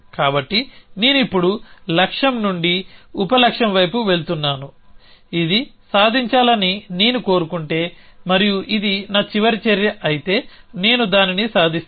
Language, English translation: Telugu, So I have moving from goal to sub goal now, I am saying that if I want this to be achieved and if this is my last action then I will achieve it